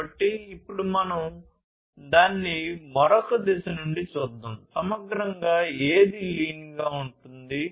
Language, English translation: Telugu, So, let us now look at it from another direction, holistically, what lean is all about